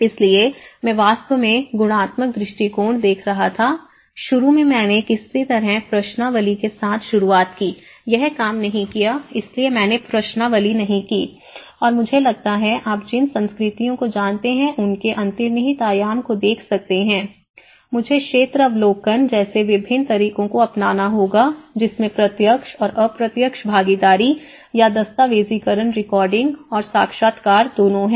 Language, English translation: Hindi, So, I was looking at the qualitative approach in fact, initially I started with questionnaires somehow, it didn’t worked out so that is why I strike out from the questionnaires and I see that as I am looking at the underlying dimension of the cultures you know, I have to adopt different methods like field observation which has both direct and indirect participation, a documentation recording and the interview